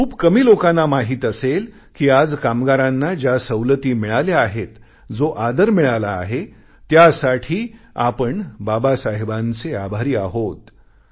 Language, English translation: Marathi, You would be aware that for the facilities and respect that workers have earned, we are grateful to Babasaheb